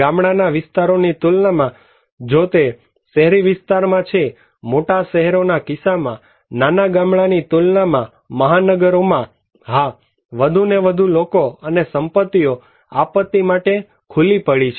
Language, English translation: Gujarati, Compared to village areas, if it is in urban sectors like, in case of big cities; in metropolitan cities compared to a small village; yes, more and more people and properties are exposed